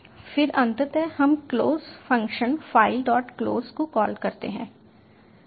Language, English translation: Hindi, then eventually we call the close function file dot close